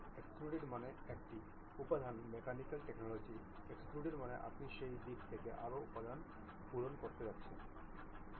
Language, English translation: Bengali, Extruded means a manufacturing mechanical technology; extrude means you are going to fill more material in that direction